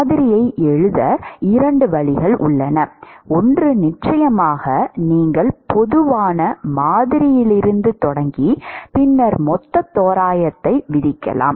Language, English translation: Tamil, There are two ways to write the model: one is certainly you could start from general model and then impose lumping approximation